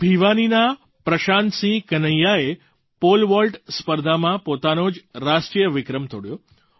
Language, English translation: Gujarati, Prashant Singh Kanhaiya of Bhiwani broke his own national record in the Pole vault event